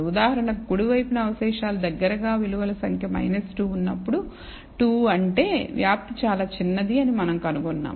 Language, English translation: Telugu, For example, in the right hand side we find that the residuals close to when the number of values is minus 2 is 2 is spread is very small